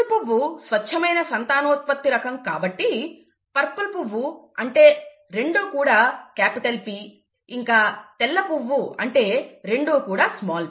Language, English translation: Telugu, The purple flower, these were true breeding the true breeding varieties and therefore the purple flowers means both are capital P, and the white flowers means both are small p, okay